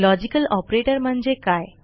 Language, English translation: Marathi, What is a logical operator